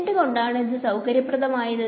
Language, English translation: Malayalam, Why is this convenient